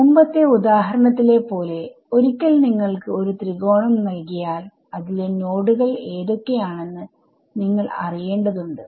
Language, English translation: Malayalam, Supposing like in the previous example you give a triangle now once you given triangle you need to know which are the nodes in it